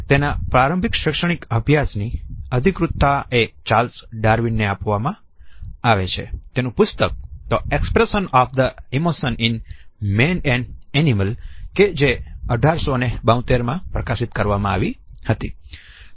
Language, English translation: Gujarati, The earliest academic study can be credited to Charles Darwin, whose work The Expression of the Emotions in Man and Animals was published in 1872